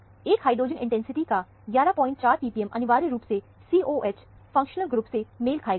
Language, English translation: Hindi, 4 p p m of 1 hydrogen intensity could essentially match the COOH functional group